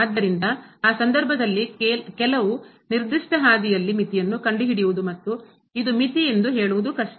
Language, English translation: Kannada, So, in that case it is difficult to find a limit along some particular path and saying that this is the limit